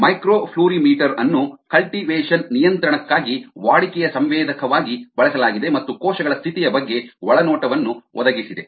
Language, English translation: Kannada, a microflory meter was used as a routine senserforcultivation control and provided insight into the status of cells